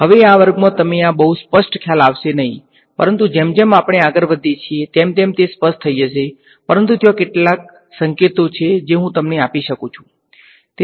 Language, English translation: Gujarati, Now this may not seem very clear to you in this class, but it will become clear as we go along, but there are there are a few hints that I can give you